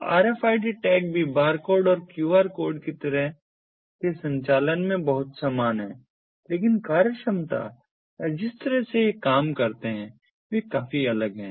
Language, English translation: Hindi, so rfid tags are also very similar in operation to the barcodes and qr codes, but the functionality or the way these operate are vastly different